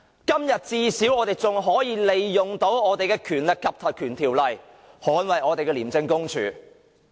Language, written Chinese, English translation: Cantonese, 至少今天我們仍可利用我們的《條例》捍衞我們的廉署。, But anyway at least we can still make good use of the Ordinance today to defend our ICAC